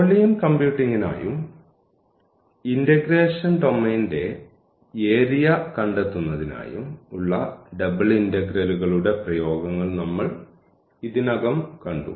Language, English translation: Malayalam, So, we have already seen the applications of double integrals for computing volume for example, and also the area of the domain of integration